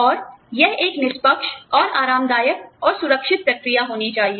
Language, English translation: Hindi, And, this should be a fair, and comfortable, and safe process